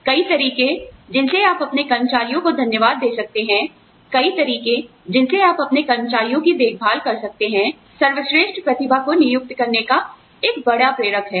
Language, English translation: Hindi, The number of ways in which, you can thank your employees, the number of ways in which, you can look after your employees, is a big motivating factor, for recruiting the best talent